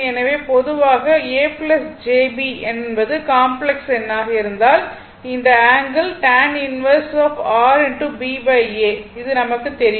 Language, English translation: Tamil, So generally, you know that if a plus j b is the complex number right, then this angle theta is equal to tan inverse your b by a right this you know